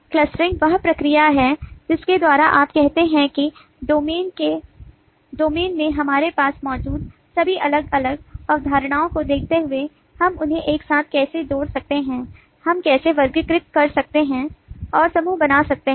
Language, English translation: Hindi, the clustering is the process by which that you say that, given all the different concepts that we have in the domain, how can we group them together